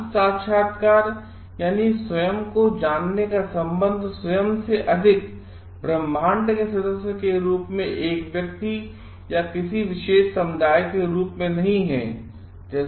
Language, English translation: Hindi, Self realization relates to the recognition of oneself as a member of the greater universe not just as a single individual or a member of a particular community